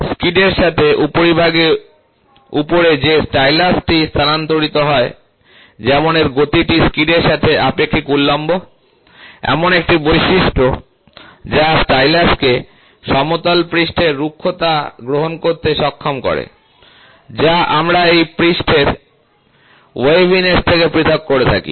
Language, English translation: Bengali, The stylus that moves over the surface along the skid such that, its motion is vertical relative to the skid, a property that enables the stylus to capture the contour surface roughness independent of the surface waviness we use this